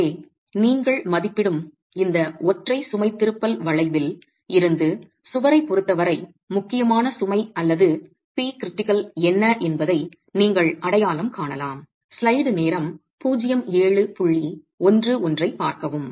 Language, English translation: Tamil, So, from this single load deflection curve that you estimate, you can identify what is the critical load or P critical as far as the wall is concerned